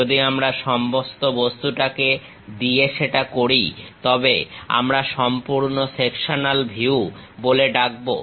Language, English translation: Bengali, If we do that with the entire object, then we call full sectional view